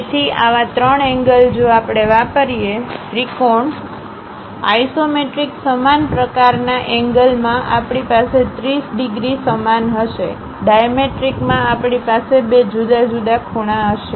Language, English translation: Gujarati, So, such kind of three angles if we use, trimetric; in isometric same kind of angles we will have 30 degrees same, in dimetric we will have two different angles